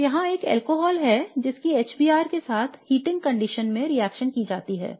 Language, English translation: Hindi, So here is an alcohol which is reacted with HBR which is under heating conditions